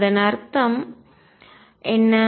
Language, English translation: Tamil, And what does that mean